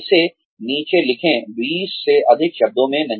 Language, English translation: Hindi, Write it down, in not more than 20 words